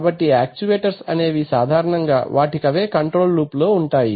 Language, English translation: Telugu, So therefore, actuators are typically, the actuators themselves is a control loop